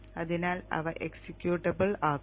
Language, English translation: Malayalam, So that will be made executable